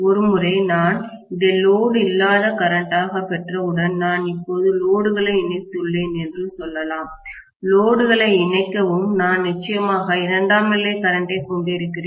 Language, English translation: Tamil, Once I got this as the no load current, let’s say I have connected the load now, when I will connect the load, I am going to have definitely a secondary current